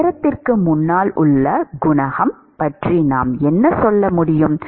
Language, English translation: Tamil, What can we say about the coefficient in front of time